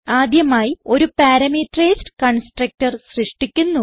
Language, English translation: Malayalam, Let us first create a parameterized constructor